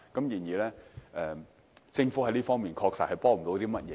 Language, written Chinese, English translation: Cantonese, 然而，政府在這方面確實幫不上忙。, Yet I must honestly say that the Government cannot possibly offer any help in this regard